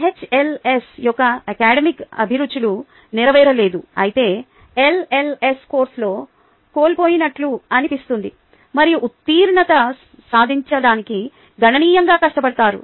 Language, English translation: Telugu, the academic passions of the hls are not fulfilled, whereas the lls feel lost in the course and significantly in struggle to pass